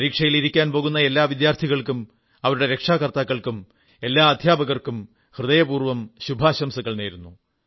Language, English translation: Malayalam, My best wishes to all the students who're going to appear for their examinations, their parents and all the teachers as well